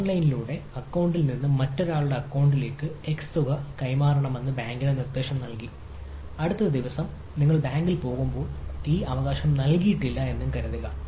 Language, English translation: Malayalam, like you say that the bank, you instruct your bank that you transfer over online, that you transfer x amount from my account to somebody elses account and next day i go to the bank that i never gave this right